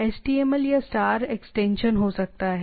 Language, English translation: Hindi, Can have either htm or star html extension